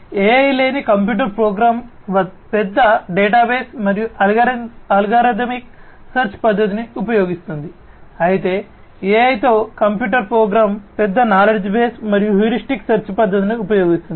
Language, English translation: Telugu, So, a computer program without AI uses large databases and uses algorithmic search method whereas, a computer program with AI uses large knowledge base and heuristic search method